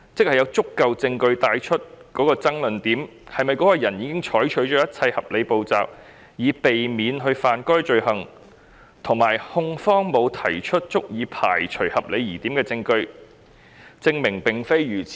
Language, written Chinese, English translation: Cantonese, 換言之，爭論點在於是否有足夠證據證明該人已採取一切合理步驟以避免干犯該罪行，以及控方能否提出足以排除合理疑點的證據，證明並非如此。, In other words the issue at stake is whether there is sufficient evidence to establish that a person has taken all reasonable steps to avoid committing the offence and the contrary is not proved by the prosecution beyond reasonable doubt